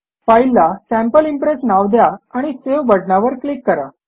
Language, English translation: Marathi, We will name this file as Sample Impress and click on the save button